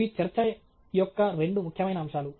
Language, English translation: Telugu, These are two important aspects of a talk